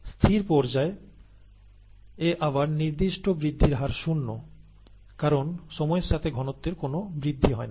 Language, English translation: Bengali, And, in the stationary phase, again, the specific growth rate is zero, because there is no increase in cell concentration with time